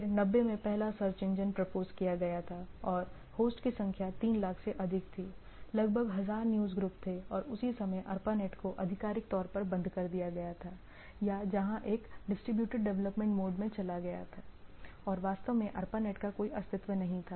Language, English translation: Hindi, So, in 90 what we see in first search engine what was proposed and number of host was 3 lakh plus, around 1,000 newsgroups and at the same time ARPANET was cease to exist officially or it where it went to a distributed development mode and there is no practically that what we say existence of ARPANET was not there